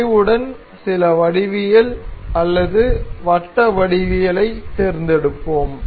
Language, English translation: Tamil, We will select some geometrical circular geometry or geometry with curved